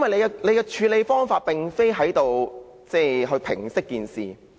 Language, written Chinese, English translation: Cantonese, 他的處理方法並非旨在平息事件。, His approach is not intended to bring the incident to a halt